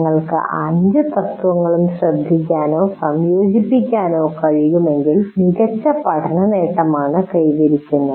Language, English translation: Malayalam, If you are able to pay attention or incorporate all the principles, all the five principles, then learning is best achieved